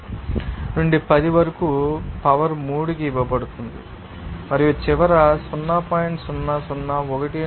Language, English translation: Telugu, 65 into 10 to the power 3 and then finally coming 0